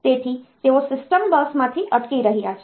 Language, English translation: Gujarati, So, they are hanging from the system bus